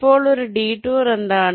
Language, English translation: Malayalam, now, what is a detour